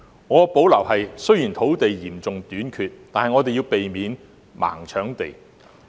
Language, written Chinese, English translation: Cantonese, 我有所保留的是，雖然土地嚴重短缺，但我們要避免"盲搶地"。, I have reservation because even though there is an acute shortage of land we must avoid scrambling for land